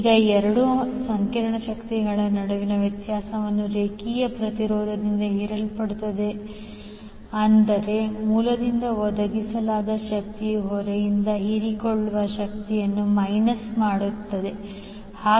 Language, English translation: Kannada, Now the difference between the two complex powers is absorbed by the line impedance that means the power supplied by the source minus the power absorbed by the load